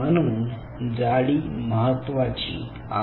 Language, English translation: Marathi, that thickness is very important